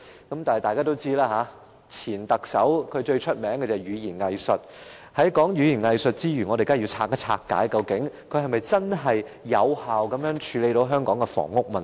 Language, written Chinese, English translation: Cantonese, 不過，正如大家所知，前特首最出名的是語言"偽術"，所以我們當然要拆解一下，他是否真正有效地處理香港的房屋問題？, But as we all know the former Chief Executive is best known for his hypocritical rhetoric and hence we must critically examine whether or not he had effectively addressed the housing problem of Hong Kong